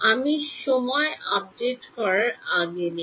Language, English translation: Bengali, No before I do a time update